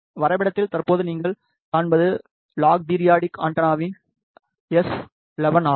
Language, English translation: Tamil, What you see currently on the graph is S11 of log periodic antenna